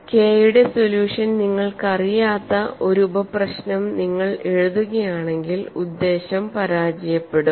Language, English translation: Malayalam, If you write a sub problem where you do not know solution for K, then the purpose is difficult